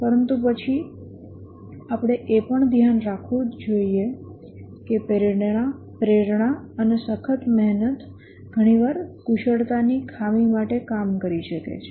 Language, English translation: Gujarati, But then we must also be aware that motivation and hard work can often make up for the shortfall in the skills